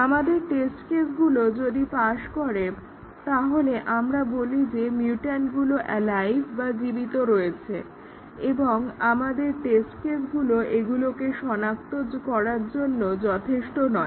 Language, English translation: Bengali, Then, our test cases if they pass, then we say that the mutant is alive and our test cases were not good enough to catch that